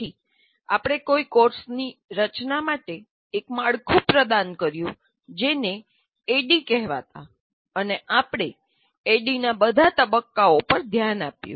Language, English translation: Gujarati, And then we provided a framework for designing a course which is called, which was called ADD